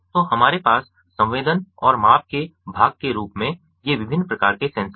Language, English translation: Hindi, so we have ah, these different types of sensors as part of the sensing and measurement